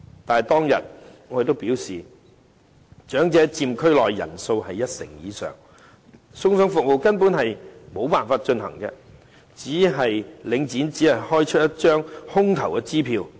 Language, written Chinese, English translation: Cantonese, 但是，當天我表示長者佔區內人數一成以上，送餸服務根本沒有辦法進行，領展只是開出一張空頭支票。, But as I said the other day with the number of elderly people accounting for over 10 % of the population in the district such meal delivery service would actually be impossible and this would only end up as a dishonoured cheque issued by Link REIT